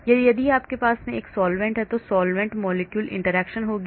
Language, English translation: Hindi, Or if you have a solvent then there will be solvent molecule interaction